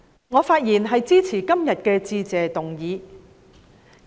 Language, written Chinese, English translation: Cantonese, 我發言支持今天的致謝議案。, I speak in support of the Motion of Thanks today